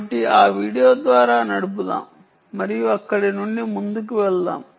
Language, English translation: Telugu, ok, so lets run through that video and ah um move on from there